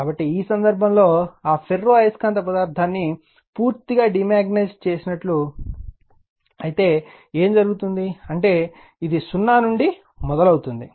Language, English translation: Telugu, So, in this case, what will happen that you have completely you are what we called demagnetize that ferromagnetic material, so that means, it is starting from 0